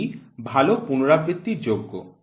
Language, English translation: Bengali, This is poor repeatability